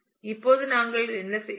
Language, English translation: Tamil, Now, what do we do